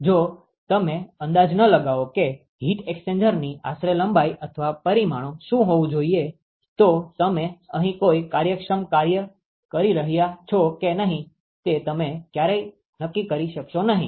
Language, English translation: Gujarati, If you do not estimate what should be the approximate length or the dimensions of the heat exchanger, you would never be able to decide whether you are doing an efficient job here